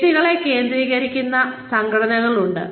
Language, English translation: Malayalam, There are organizations, that focus on individuals